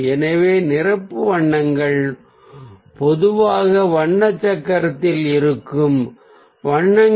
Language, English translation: Tamil, so complementary colours are the colours that ah are usually ah sit across from each other on the colour wheel